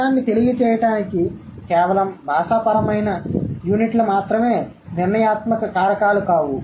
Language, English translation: Telugu, So, that means just linguistic units are not the only deciding factors to convey the meaning